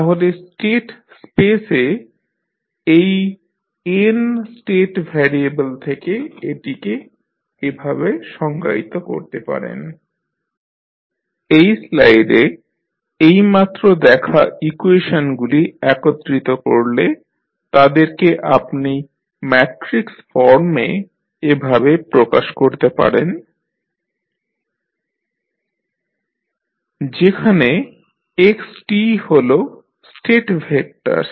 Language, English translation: Bengali, So, which we just saw, so here dx1 by dt is equal to x2t you can write as x1 dot equal to x2t so when you compile all the equations which you just saw in this slide then you can represent them in matrix form as x dot t is equal to Ax t plus Bu t where xt is the state vector